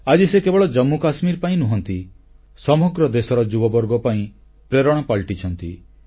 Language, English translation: Odia, Today, he has become a source of inspiration not only in Jammu & Kashmir but for the youth of the whole country